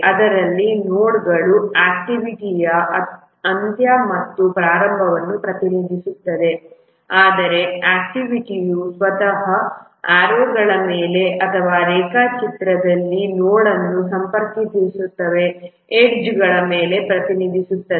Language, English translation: Kannada, In this, the nodes, they represent end or start of activity, but the activity itself is represented on the arrows or the edges connecting the nodes in the diagram